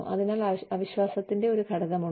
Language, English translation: Malayalam, So, there is an element of mistrust